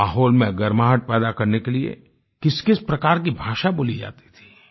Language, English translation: Hindi, The kind of language that was spoken in order to generate tension in the atmosphere